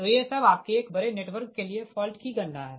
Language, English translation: Hindi, so this are all your, all this fault calculation for a large network, right